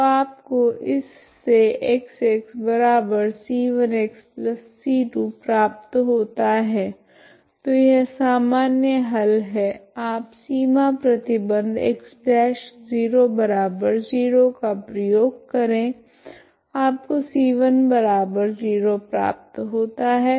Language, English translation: Hindi, So this now you get X of x equal to c 1 x plus c 2 so that is the general solution, you apply the boundary condition x dash of 0 equal to 0 will give me c 1 equal to 0